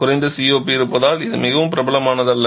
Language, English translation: Tamil, It is not the most popular one simply because of its low COP